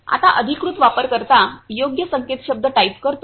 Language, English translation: Marathi, Now authorized user types the correct password